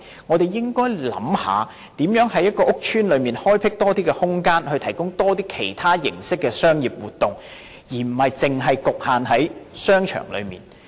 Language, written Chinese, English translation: Cantonese, 我們應該想一想如何在一個屋邨內開闢多一些空間，提供其他形式的商業活動，而不是局限於商場內。, We should think about how more spaces can be made available in a public housing estate for the provision of other forms of business activities rather than being limited to within a shopping arcade only